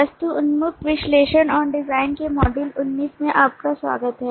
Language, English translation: Hindi, welcome to module 19 of object oriented analysis and design